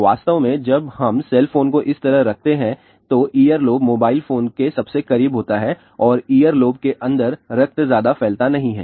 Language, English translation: Hindi, In fact, when we keep the cell phone like this the ear lobe is closest to the mobile phone and the blood inside the ear lobe does not circulate much